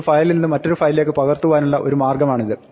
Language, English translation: Malayalam, This is one way to copy one file from input to output